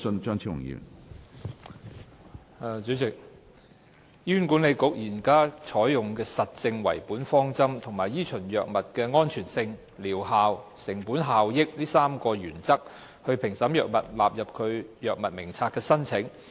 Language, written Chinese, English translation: Cantonese, 主席，醫院管理局現時採用實證為本的方針和依循藥物的安全性、療效和成本效益3大原則，評審藥物納入其藥物名冊的申請。, President the Hospital Authority currently adopts an evidence - based approach for and follows the three major principles of safety efficacy and cost - effectiveness of the drugs in evaluating applications for inclusion of drugs in its Drug Formulary